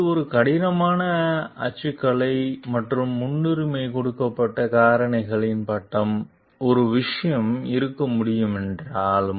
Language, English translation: Tamil, Although this is a rough typology and the priority given factors could be a matter for degree